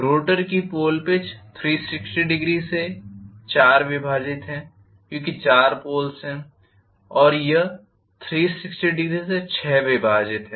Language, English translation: Hindi, Pole pitch of the rotor is 360 degrees divided by four because there are four poles and this is 360 degree divided by six